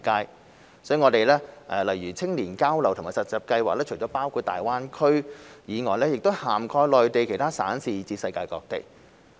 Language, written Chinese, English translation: Cantonese, 因此，我們的青年交流和實習計劃除了包括大灣區，更涵蓋內地其他省市以至世界各地。, In view of this our youth exchange and internship programmes cover not only GBA but also other Mainland cities and the rest of the world